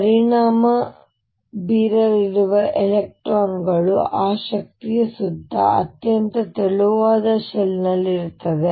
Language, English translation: Kannada, Electrons that are going to affected are going to be in a very thin shell around that energy